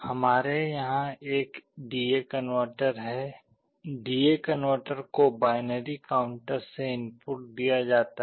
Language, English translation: Hindi, We have a D/A converter out here, the input of the D/A converter is fed from a binary counter